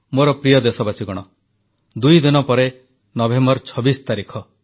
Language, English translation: Odia, My dear countrymen, the 26th of November is just two days away